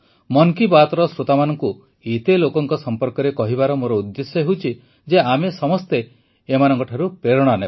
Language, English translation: Odia, the purpose of talking about so many people to the listeners of 'Mann Ki Baat' is that we all should get motivated by them